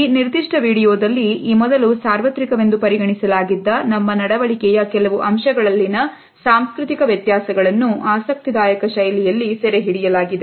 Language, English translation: Kannada, In this particular video, we find that cultural variations in certain aspects of our behavior which was earlier considered to be universal are displayed in an interesting fashion